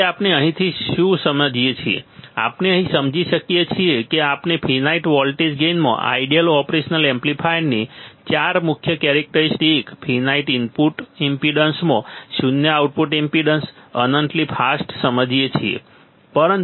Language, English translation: Gujarati, So, what we understand from here, what we understand from here that we understood four main characteristics of an ideal operation amplifier in finite voltage gain, in finite input impedance, zero output impedance, infinitely fast right